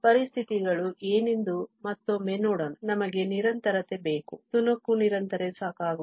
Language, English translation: Kannada, So, here what are the conditions once again, we need continuity, the piecewise continuity is not sufficient and we need f prime to be piecewise continuous